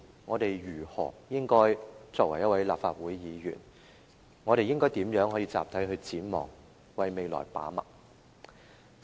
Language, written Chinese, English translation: Cantonese, 我們作為立法會議員，應該如何集體展望，為未來把脈？, Being Legislative Council Members how should we collectively look ahead and feel the pulse of the future?